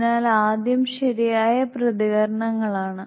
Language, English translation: Malayalam, So first are correct reactions